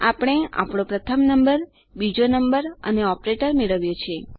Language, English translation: Gujarati, We have got our first number, our second number and an operator